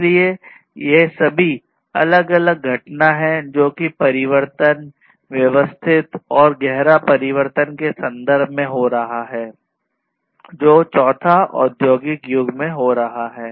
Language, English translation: Hindi, So, these are all like different phenomena that are happening in terms of change, systematic and profound change that are happening in this fourth industrial age